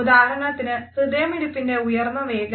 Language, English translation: Malayalam, For example, increased rate of heart